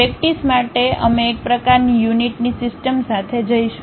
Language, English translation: Gujarati, For practice we will go with one kind of system of units